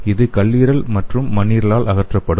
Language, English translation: Tamil, So it will be removed by the liver as well as spleen